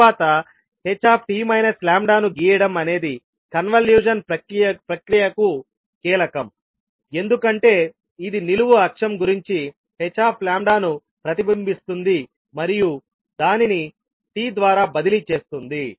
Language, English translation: Telugu, Then sketching h t minus lambda is the key to the convolution process because it involves reflecting h lambda about the vertical axis and shifting it by t